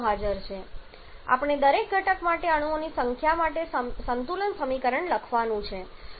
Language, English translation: Gujarati, So, we have to write the balance equation for the number of atoms for each of the constituents